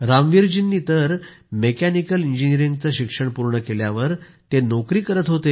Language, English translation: Marathi, Ramveer ji was doing a job after completing his mechanical engineering